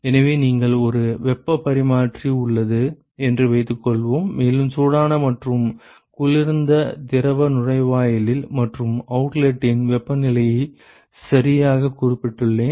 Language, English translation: Tamil, So, suppose I have a heat exchanger and, I have specified the temperatures of the hot and the cold fluid inlet and outlet ok